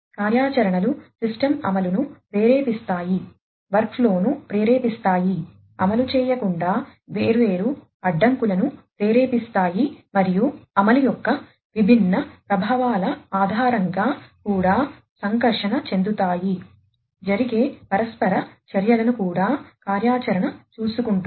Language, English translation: Telugu, Activities trigger the system execution, trigger the workflow, trigger different constraints from being executed and also interact based on the different effects of execution the interactions that happen are also taken care of by the activity